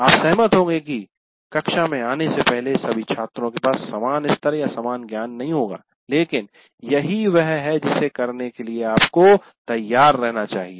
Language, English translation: Hindi, Agreed that all students will not have the same levels or same knowledge before coming to the class, but that is what one has to be prepared to do so